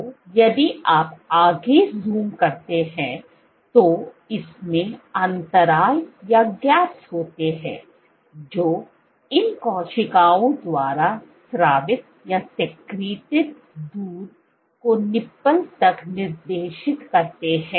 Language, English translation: Hindi, So, if you zoom in further, these are gaps inside which direct the milk secreted by these cells to the nipple